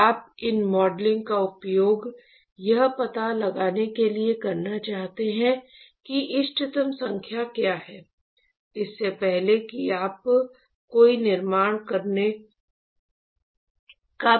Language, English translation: Hindi, So, you really want to use these modeling to find out what is the optimal number, even the before you attempt to make a construction